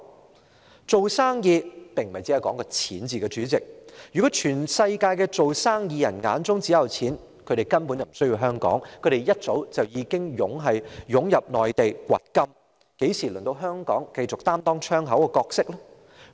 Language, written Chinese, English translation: Cantonese, 主席，做生意並非單單講求金錢，如果全球的生意人眼中也只有錢，他們根本不需要香港，他們早已湧進內地掘金，怎會輪到香港繼續擔當窗口的角色呢？, President business is not merely about money . Had all businessmen around the world been solely concerned about money they would not have come to Hong Kong but flooded into the Mainland for gold mining and Hong Kong would not have the opportunity to continue to serve its role as a gateway